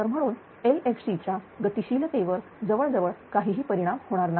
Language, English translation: Marathi, So, there will be almost no effect on the LFC dynamics right